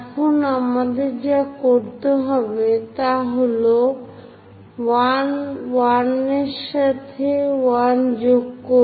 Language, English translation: Bengali, Now what we have to do is join 1 with 1, 1